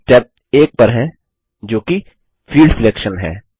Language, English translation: Hindi, We are in step 1 which is Field Selection